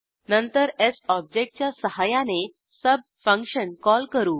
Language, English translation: Marathi, Then we call the function sub using the object s